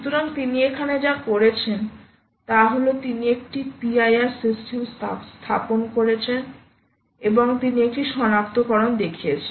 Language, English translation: Bengali, so what she has done here is she has set up a p i r system and she has shown a detection